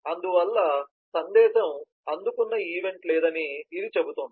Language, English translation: Telugu, so this says that the received event was not there